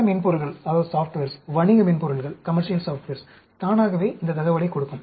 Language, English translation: Tamil, Many softwares, commercial softwares, automatically will give this information